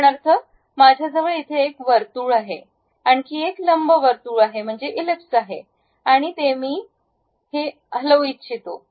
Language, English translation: Marathi, For example, I have one circle here, I have another ellipse here and I would like to move this one